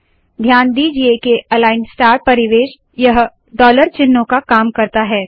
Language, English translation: Hindi, Note that the align star environment takes the role of the dollar signs